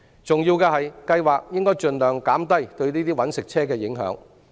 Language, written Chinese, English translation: Cantonese, 重要的是，計劃應盡量減低對這些"搵食車"的影響。, It is important that the scheme should minimize the impact on these commercial vehicles